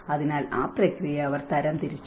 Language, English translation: Malayalam, So, in that process they have classified